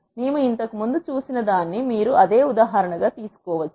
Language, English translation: Telugu, You can take same example what we have seen earlier